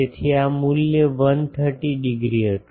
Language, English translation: Gujarati, So, this value was 130 degree